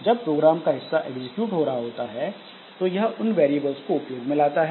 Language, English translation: Hindi, Now, when this part of the program is executing, so it will be using these variables that we have here